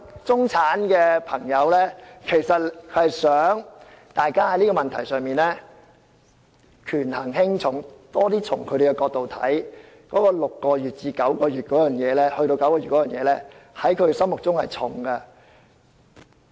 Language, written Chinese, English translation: Cantonese, 中產的朋友希望大家在這個問題上權衡輕重，多從他們的角度考慮，把換樓退稅寬限期由6個月延長至9個月，在他們心目中是"重"的。, Middle - class people hope that Members will consider their interests more when setting the priorities . To the middle class extending the time limit for property replacement under the refund mechanism from six months to nine months is a matter of priority to them